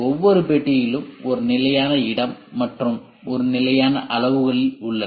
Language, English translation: Tamil, And each compartment has a fixed space and a fixed dimensions